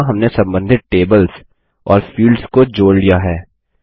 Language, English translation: Hindi, There, we have connected the related tables and fields